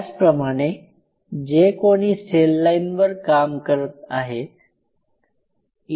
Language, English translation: Marathi, Similarly, those who are using cell lines